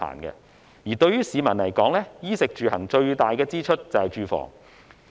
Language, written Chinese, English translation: Cantonese, 而對於市民來說，在衣食住行中，最大的支出是住房。, To the general public housing costs them the most among all the basic needs in daily life